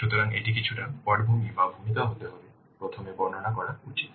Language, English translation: Bengali, So, that has to be a little bit of background or introduction should be described first